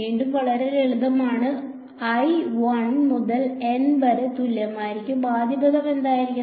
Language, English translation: Malayalam, Again very simple i is equal to 1 to N, what should the first term be